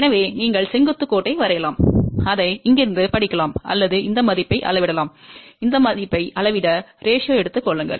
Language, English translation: Tamil, So, either you can draw the vertical line, read it from here or you measure this value and measure, this value take the ratio